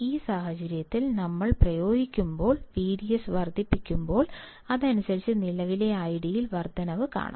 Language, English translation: Malayalam, In this case when we apply, when we increase V D S we can see correspondingly, increase in current I D